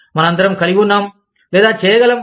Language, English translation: Telugu, All of us, have or able to